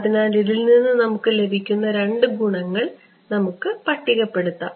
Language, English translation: Malayalam, So, let us just sort of list out the two advantages that we will get from this ok